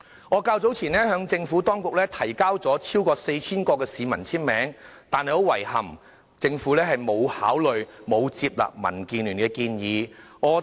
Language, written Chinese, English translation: Cantonese, 我較早前就此向政府提交了超過 4,000 個市民的簽名，但很遺憾，政府並沒有接納民建聯的建議。, I have submitted over 4 000 signatures from the public to the Government in this connection but the suggestion was regrettably not taken on board by the Government